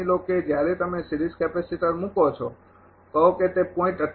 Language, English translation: Gujarati, Suppose when you put the series capacitor say it is becoming 0